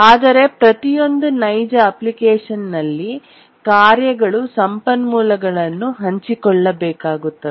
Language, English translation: Kannada, But then in almost every real application the tasks need to share resources